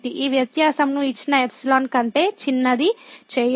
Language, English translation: Telugu, To make this difference is smaller than the given epsilon